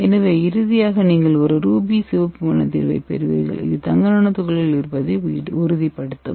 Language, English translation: Tamil, so at the finally you will get a ruby red color when you get the ruby red color you can confirm you got the gold nanoparticle